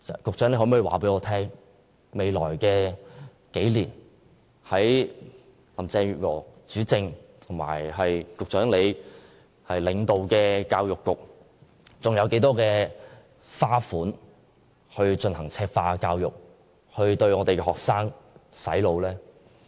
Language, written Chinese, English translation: Cantonese, 局長可否告訴我，未來數年，在林鄭月娥主政及局長領導下的教育局，還要花多少經費進行"赤化"教育，對我們的學生"洗腦"？, Can the Secretary tell us how much more money will be spent by the Education Bureau on Mainlandization of our education system and brainwashing of our students in the coming few years under the governance of Mrs Carrie LAM and your leadership?